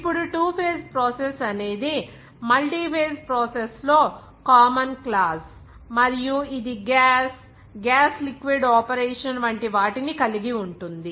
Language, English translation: Telugu, Now, what is that two phase process is the most common class of multiphase processes are two phase processes and this includes the following, like gas, gas liquid operation like